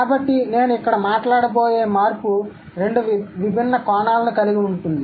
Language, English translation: Telugu, So, the change here that I'm going to talk about would have two different aspects